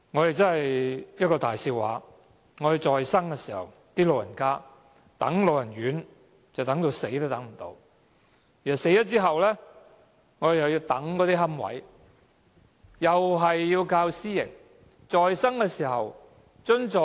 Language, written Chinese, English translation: Cantonese, 這真是一個大笑話，長者在生時輪候長者院舍，直到過世也無法入住，而去世後又要輪候龕位，又是要依靠私營機構。, It is really ironic that elderly persons when alive had to wait for residential care homes for the elderly and they could not live long enough to be admitted to such homes; and after they died they also had to wait for niches and likewise they also had to rely on the private sector